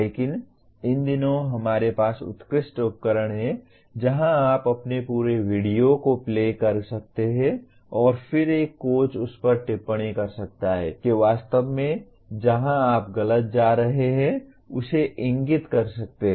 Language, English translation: Hindi, But these days we have excellent tools where you can video the entire your play and then a coach can comment on that and can exactly pinpoint where you are actually doing